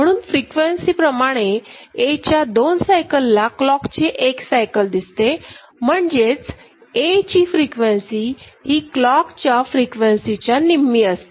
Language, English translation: Marathi, So, frequency wise for every two, you know cycle one cycle of A is seen, so the frequency of A is half of it, then half of the clock